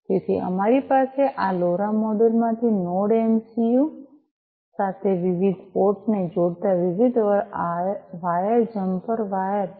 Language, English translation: Gujarati, So, we have different wires jumper wires connecting different ports from this LoRa module to the Node MCU